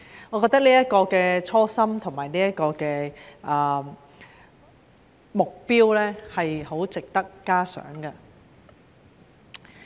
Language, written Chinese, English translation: Cantonese, 我覺得這種初心和目標相當值得嘉賞。, I think that such aspiration and goal are worthy of praise